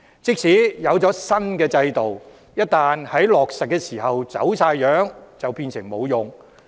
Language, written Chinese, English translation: Cantonese, 即使推出新制度，一旦落實時走樣，便會變得無用。, A new system will become ineffective if it is implemented in a distorted manner after being introduced